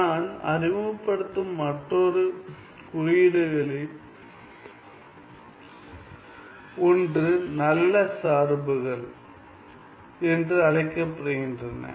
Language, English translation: Tamil, One of the other notions that I introduce is the so called good functions